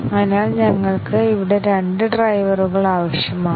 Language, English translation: Malayalam, And therefore, we need two drivers here